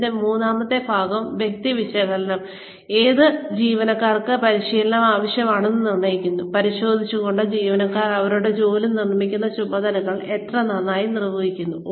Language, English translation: Malayalam, The third part of this is, person analysis, which determines, which employees need training, by examining, how well employees are carrying out the tasks, that make up their jobs